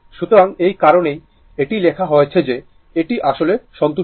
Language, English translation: Bengali, So, that is why it is written this is actually satisfied